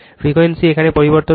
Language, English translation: Bengali, Frequency is variable here